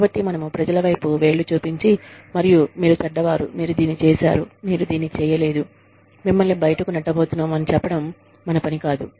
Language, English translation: Telugu, So, we should not, our job is not to point fingers at people, and say, you are bad, you have done this, you have not done this, we are going to throw you out